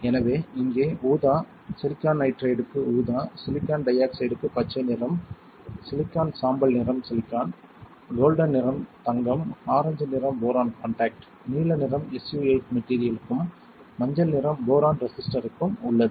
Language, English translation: Tamil, So here is purple, purple is for silicon nitride, green colour is for silicon dioxide, grey colour is silicon, golden colour is gold orange colour is for boron contact blue colour is for SU 8 material and yellow colour is for boron resistor alright